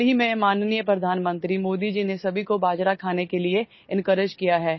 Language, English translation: Hindi, Recently, Honorable Prime Minister Modi ji has encouraged everyone to eat pearl millet